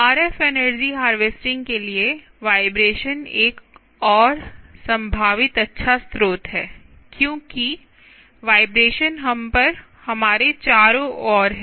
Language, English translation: Hindi, vibration is another potentially good source for ah energy harvesting, because vibrations are all over us, all around us